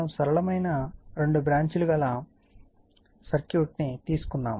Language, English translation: Telugu, We have taken a simple two branch circuit right